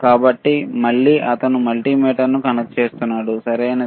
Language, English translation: Telugu, So, again he is connecting this multimeter, right